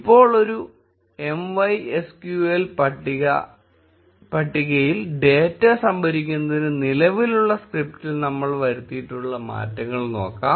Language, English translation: Malayalam, Now, let us look at the changes which we have made to the existing script to store data into a MySQL table